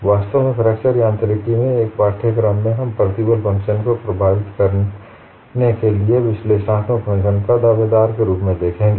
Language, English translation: Hindi, In fact, in a course in fracture mechanics, we would look at analytic functions as candidates for defining the stress functions